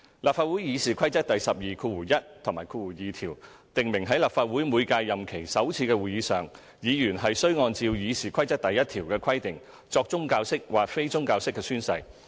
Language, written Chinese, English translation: Cantonese, 立法會《議事規則》第121及2條訂明在立法會每屆任期首次會議上，議員須按照《議事規則》第1條的規定作宗教式或非宗教式宣誓。, Rule 121 and 2 of the Rules of Procedure RoP of the Legislative Council stipulate that at the first meeting of a term Members shall make or subscribe an oath or affirmation as provided for under RoP 1